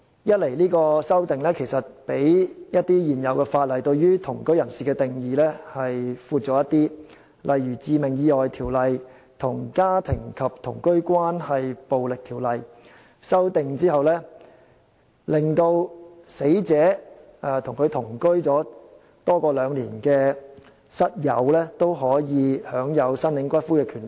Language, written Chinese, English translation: Cantonese, 一來這項修訂對同居人士的定義較一些現行法例更為廣闊，例如參考《致命意外條例》與《家庭及同居關係暴力條例》作出修訂後，與死者同居多於兩年的室友也可享有申領骨灰的權利。, Firstly this amendment gives a broader definition of cohabitants than some existing ordinances . For instance after this amendment is introduced by making reference to the Fatal Accidents Ordinance and the Domestic and Cohabitation Relationships Violence Ordinance a roommate who has lived with the deceased for more than two years can have the right to claim the latters ashes